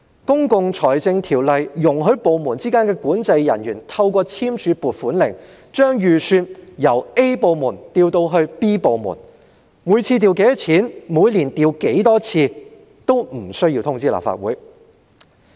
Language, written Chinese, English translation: Cantonese, 《公共財政條例》容許部門之間的管制人員透過簽署"撥款令"，把預算由 A 部門調至 B 部門，每次調撥多少錢及每年調撥多少次，均無需通知立法會。, The Public Finance Ordinance allows the controlling officers of different departments to transfer estimates of expenditure from Department A to Department B by signing allocation warrants without having to notify the Legislative Council of the amount of expenditure incurred each time or the number of transfers made each year